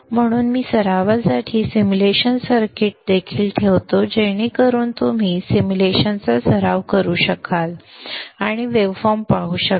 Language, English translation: Marathi, So I will also put the simulation circuits for practice so that you can practice the simulation and see the waveforms